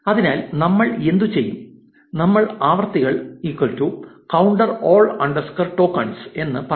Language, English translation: Malayalam, So, what we will do is, we will say frequencies is equal to counter all underscore tokens